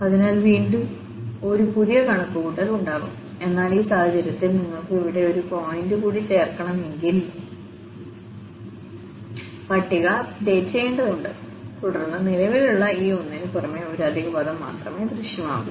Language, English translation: Malayalam, So, there will be again a fresh calculations, but here in this case if you want to add one more point here, the table has to be updated and then just one extra term will be appearing besides this existing one